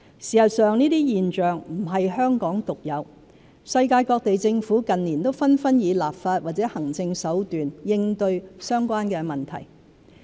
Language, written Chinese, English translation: Cantonese, 事實上，這些現象不是香港獨有，世界各地政府近年紛紛以立法或行政手段應對相關問題。, In fact such a phenomenon is not unique to Hong Kong . In recent years governments worldwide have tried to tackle the problems with legislative or administrative means